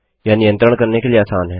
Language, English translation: Hindi, Its easier to control